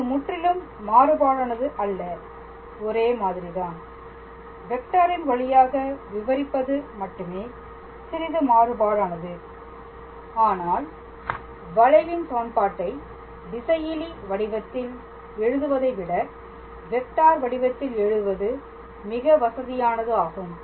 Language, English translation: Tamil, So, its not completely different its the same thing, is just that the way we are expressing it using the vectors is slightly different, but it is convenient its very convenient to write the equation of a curve in space in a vector form than writing it in a scalar form